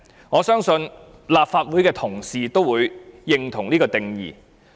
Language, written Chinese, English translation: Cantonese, 我相信，立法會的同事都會認同這個定義。, I believe colleagues in this Council also agree with this definition